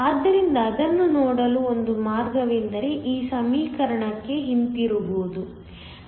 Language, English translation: Kannada, So, one way to see that is to go back to this equation